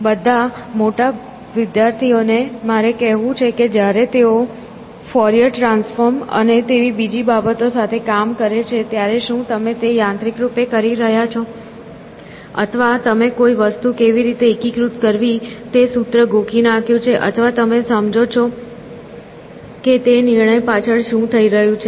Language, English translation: Gujarati, All older students, should I say, when they are dealing with things like Fourier transforms and so on and so forth, are you doing it mechanically, or have you mugged up a formula of how to integrate something, or do you understand what is happening behind that decision